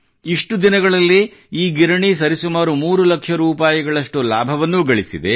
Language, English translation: Kannada, Within this very period, this mill has also earned a profit of about three lakh rupees